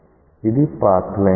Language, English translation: Telugu, So, this is path line 3